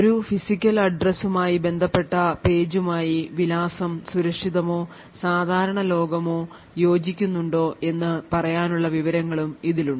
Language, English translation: Malayalam, Further it also has information to say whether the physical address corresponds to a page which is secure or in the normal world